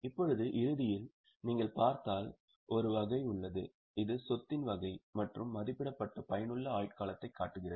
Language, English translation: Tamil, Now, in the end if you look there is a table which is showing the type of the asset and estimated useful life